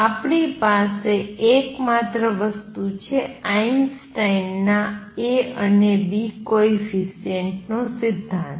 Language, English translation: Gujarati, The only thing that we have is Einstein’s theory of a and b coefficient